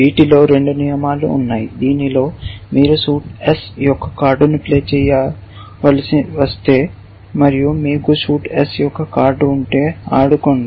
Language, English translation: Telugu, In these two rules, one rule is saying that, if you have to play a card of suit S and if you have a card of suite S play that